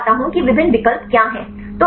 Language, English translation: Hindi, So, let me explain what are the various options